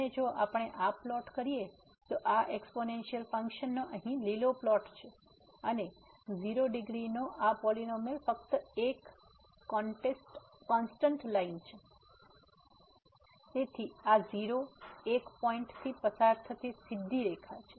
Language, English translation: Gujarati, And if we plot this, so this is the green plot here of the exponential function and this polynomial of degree 0 is just a constant line; so the straight line going through this point